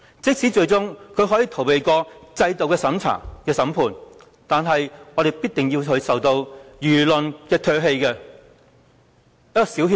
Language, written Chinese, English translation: Cantonese, 即使他最終可以逃過制度的審判，但我們亦必定要他受到輿論的唾棄。, Even if he can eventually get away from institutional trials we will surely make him spurned by the media